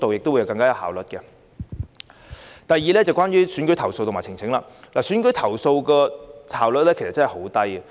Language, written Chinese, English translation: Cantonese, 第二，關於選舉投訴與呈請，處理選舉投訴的效率真的很低。, My second point is about election complaints and petitions . The authorities are really slow in handling election complaints